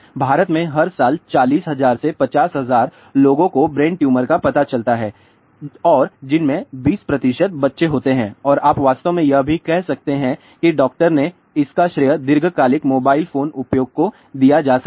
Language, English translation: Hindi, Every year 40000 to 50000 people are diagnosed with brain tumor in India and out of which 20 percent are children and you can actually even say that doctor said that this could be attributed to long term mobile phone use